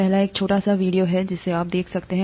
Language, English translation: Hindi, The first one you can it is it is a small video you can watch